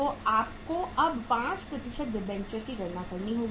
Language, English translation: Hindi, So you have to calculate now the 5% debentures